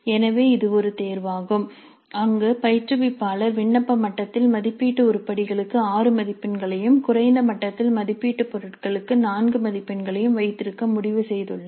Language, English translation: Tamil, So this is one choice where the instructor has decided to have six marks for assessment items at apply level and four marks for assessment items at lower levels